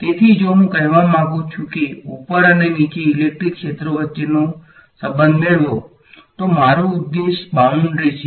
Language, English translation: Gujarati, So, if I want to let us say get a relation between the electric fields above and below, the boundary that is my objective